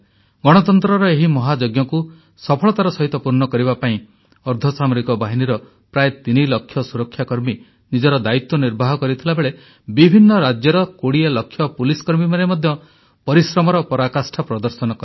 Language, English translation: Odia, In order to successfully conclude this 'Mahayagya', on the one hand, whereas close to three lakh paramilitary personnel discharged their duty; on the other, 20 lakh Police personnel of various states too, persevered with due diligence